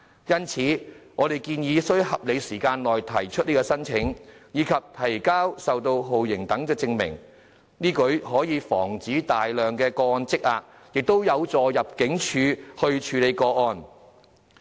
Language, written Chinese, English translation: Cantonese, 因此，我們建議須在合理時間內提出申請，以及提交受到酷刑等的證明，此舉可以防止大量個案積壓，亦有助入境處處理個案。, Therefore we suggest that the application should be filed within a reasonable period of time and the evidence on their being subjected to torture should also be submitted . This can prevent accumulation of a large number of cases and can facilitate the handling of cases by ImmD